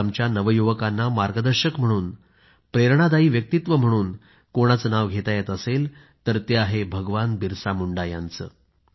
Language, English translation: Marathi, Today, if an inspiring personality is required for ably guiding our youth, it certainly is that of BhagwanBirsaMunda